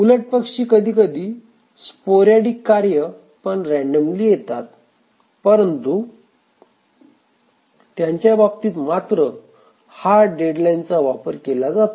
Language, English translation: Marathi, On the other hand there may be sporadic tasks which are again random but these have hard deadlines with them